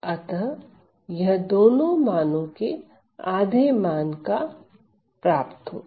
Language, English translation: Hindi, So, it attains the half of this value plus this value right